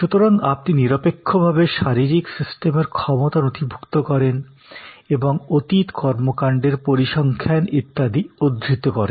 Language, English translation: Bengali, So, you objectively document physical system capacity, document and cite past performance statistics, etc